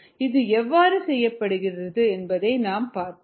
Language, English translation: Tamil, we will see how this is done if ah the